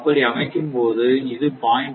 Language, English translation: Tamil, 4 and this is your 0